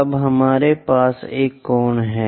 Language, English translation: Hindi, Now, we have an angle